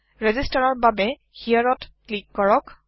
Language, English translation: Assamese, Click on here to register